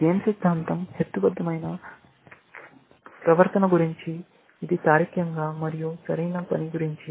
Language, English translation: Telugu, Game theory is about rational behavior that what is logically, the correct thing to do, essentially